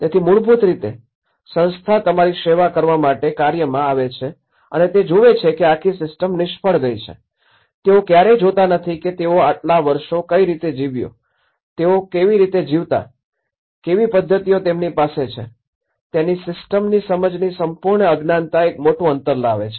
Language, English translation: Gujarati, So, basically the moment you, the institution comes in working to serve you and that is where they see that this whole system has failed, they never see that how this has survived all these years, how they used to live, what are the mechanisms that they do have, so that complete ignorance of lack of understanding of the system that brings a big gap